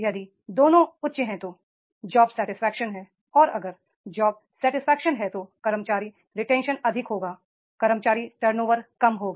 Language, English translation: Hindi, And if job satisfaction is there, employee retention will be high, employee turnover will be low